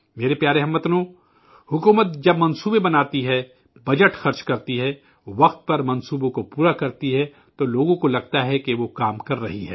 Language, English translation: Urdu, when the government makes plans, spends the budget, completes the projects on time, people feel that it is working